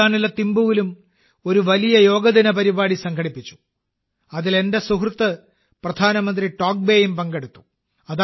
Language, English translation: Malayalam, A grand Yoga Day program was also organized in Thimpu, Bhutan, in which my friend Prime Minister Tobgay also participated